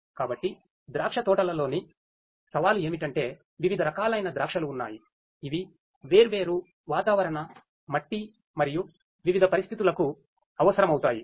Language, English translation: Telugu, So, the challenge in vineyards is that there are different varieties of grapes which will have requirements for different climatic soil and different you know conditions